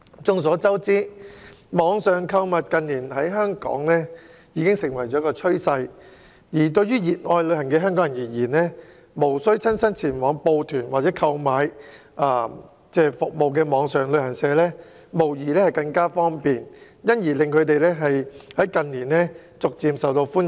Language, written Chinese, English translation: Cantonese, 眾所周知，網上購物近年在港成為趨勢，對熱愛旅行的香港人來說，無須親身報團或購買服務的網上旅行社，無疑更為方便，所以近年逐漸受到歡迎。, As we all know online shopping has lately become a trend in Hong Kong . For Hong Kong people who love to travel online travel agents that do not require people to sign up for tours or purchase services in person are undoubtedly more convenient; thus they have become increasingly popular in recent years